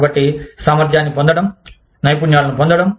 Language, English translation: Telugu, So, getting the competence, getting the skills